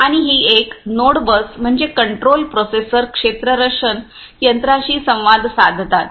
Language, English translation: Marathi, And this is the, a node bus why means the control processors communicate with the fielding instruments